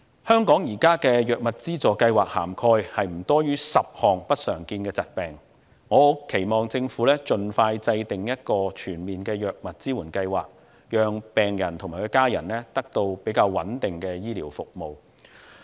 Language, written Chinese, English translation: Cantonese, 香港現時的藥物資助計劃涵蓋不多於10項不常見的疾病，我很期望政府盡快制訂一個全面的藥物支援計劃，讓病人及其家人得到穩定的醫療服務。, Since the existing medical assistance programme in Hong Kong covers no more than 10 rare diseases I hope that the Government can formulate a comprehensive medical support programme so that the patients and their family members can obtain steady medical services